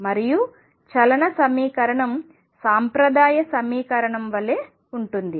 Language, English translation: Telugu, And the equation of motion was same as classical equation